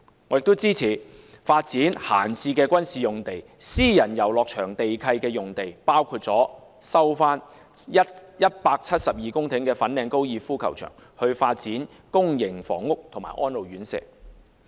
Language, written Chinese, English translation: Cantonese, 我也支持發展閒置的軍事用地、私人遊樂場地契約用地，包括收回172公頃的粉嶺高爾夫球場以發展公營房屋和安老院舍。, I also support the development of idle military sites and sites leased under private recreational leases including the full resumption of the 172 - hectare site of the Fanling Golf Course for housing and residential care homes for the elderly